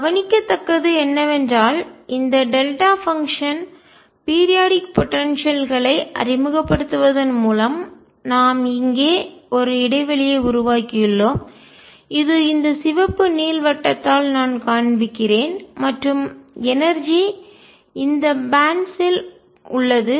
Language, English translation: Tamil, What is noticeable is that by introducing this delta function or periodic potential we have created a gap here which I am showing by this red ellipse and energy is lie in these bands